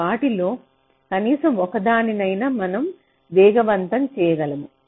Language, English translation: Telugu, so at least one of them were able to speed up, right